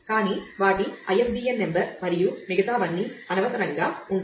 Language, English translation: Telugu, But, their ISBN number and everything else will be redundant